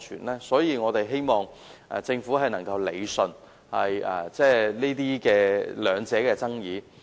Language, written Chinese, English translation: Cantonese, 為此，我們希望政府能夠理順雙方的爭議。, To this end we hope that the Government can iron out the conflicts between them